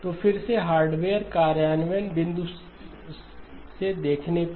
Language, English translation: Hindi, So again from a hardware implementation point of view